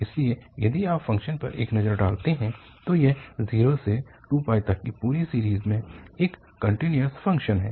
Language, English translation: Hindi, So, if you take a look at the function so this is, this is a continuous function in the whole range this 0 to 2pi